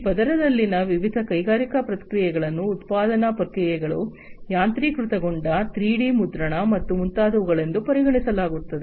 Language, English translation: Kannada, So, different industrial processes in this layer will be considered like manufacturing processes, automation, 3D printing, and so on